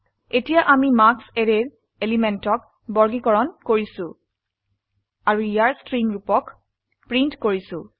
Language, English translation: Assamese, Now we are sorting the element of the array marks and then printing the string form of it